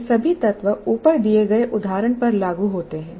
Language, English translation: Hindi, All these elements apply to the example that I have given